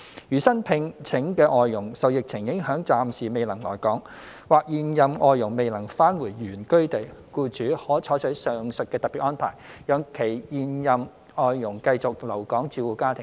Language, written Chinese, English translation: Cantonese, 如新聘請的外傭受疫情影響暫時未能來港，或現任外傭未能返回原居地，僱主可採取上述特別安排，讓現任外傭繼續留港照顧家庭。, If newly - hired FDHs are temporarily unable to come to Hong Kong due to the pandemic or the current FDHs are not able to return to their place of origin employers may make use of the above special arrangements to allow their current FDHs to continue to stay in Hong Kong to take care of their families